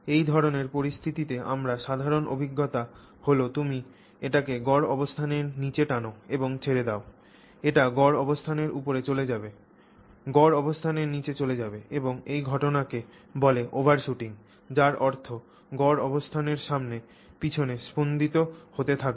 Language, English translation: Bengali, So, our most common experience of this kind of situation is you pull it below the mean position and release it, it will go above the mean position, below the mean position and it will keep vibrating back and forth about that mean position, okay, overshooting